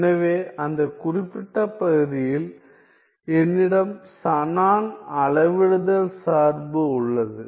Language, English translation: Tamil, So, that is the particular case then I have the Shannon scaling function, Shannon scaling function